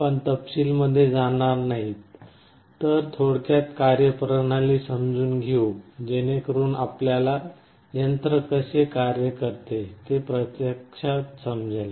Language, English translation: Marathi, We shall not be going into detail, but very brief working principle so that you actually understand how the thing is working